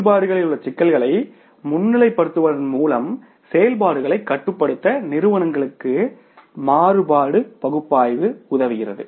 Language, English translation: Tamil, Various analysis helps companies control operations by highlighting potential problems in the operations